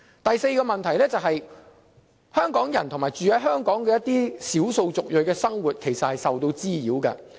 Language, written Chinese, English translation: Cantonese, 第四個問題是，香港人與居住在香港的少數族裔的生活受到滋擾。, Fourth the problem has disturbed the daily life of Hong Kong people and ethnic minorities residing in Hong Kong